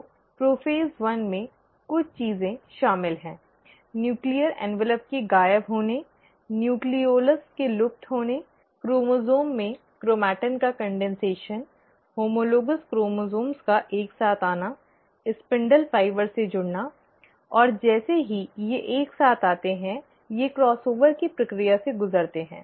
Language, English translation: Hindi, So prophase one involves few things; disappearance of the nuclear envelope, disappearance of the nucleolus, condensation of the chromatin into chromosome, homologous chromosomes coming together, attaching to the spindle fibre, and as they come together, they undergo the process of cross over